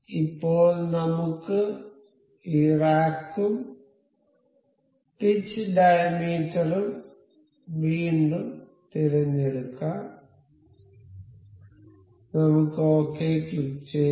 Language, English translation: Malayalam, So, now, we can we again select this rack and this pitch diameter I will click ok